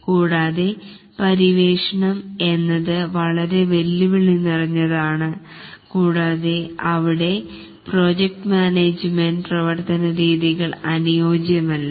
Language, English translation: Malayalam, And also the exploration is too challenging and there the project management techniques are not really suitable